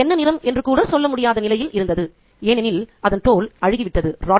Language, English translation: Tamil, You could even tell what color the dog was, for its skin had rotted and sloughed away